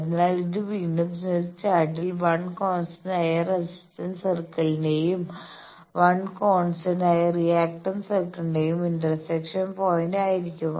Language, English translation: Malayalam, So, this will be again in the Smith Chart the intersection point of 1 constant resistant circle and 1 constant reactant circle